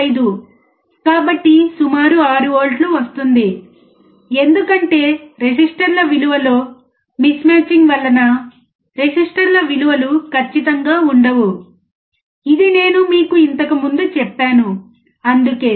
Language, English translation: Telugu, 5 so, it will give us approximately 6 volts, because I told you last time of the resistors mismatching the value of the resistors are not accurate, that is why